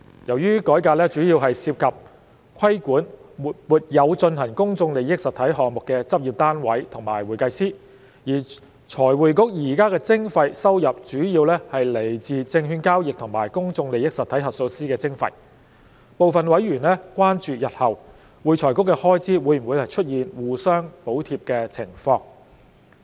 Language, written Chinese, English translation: Cantonese, 由於改革主要涉及規管沒有進行公眾利益實體項目的執業單位和會計師，而財匯局現時的徵費收入主要來自證券交易及公眾利益實體核數師的徵費，部分委員關注日後會財局的開支會否出現互相補貼的情況。, Since the reform mainly involves the regulation of practice units and CPAs who do not conduct PIE engagements whereas FRCs levy income mainly comes from levies on securities transactions and PIE auditors at present some members are concerned whether there will be cross - subsidization between AFRCs expenses in the future